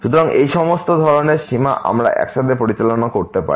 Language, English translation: Bengali, So, all these type of limits we can handle all together